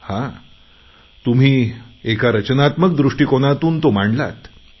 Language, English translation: Marathi, You have presented that with a constructive approach